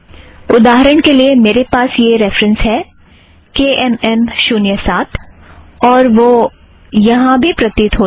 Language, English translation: Hindi, For example, I have this reference, this record has KMM07 and that appears here as well